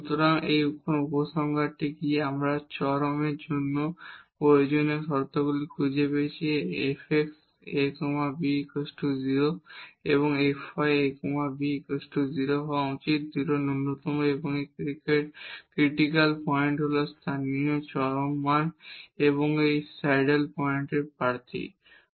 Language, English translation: Bengali, So, what is the conclusion now, we have found the necessary conditions for the extrema f x at a b should be 0 and f y a b should be 0 if this point a b is a point of local maximum or local minimum and these critical points are the candidates for the local extrema and the saddle points